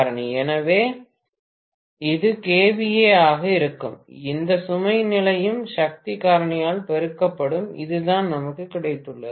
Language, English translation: Tamil, So, this is going to be kVA multiplied by whatever load condition multiplied by power factor, this is what we have got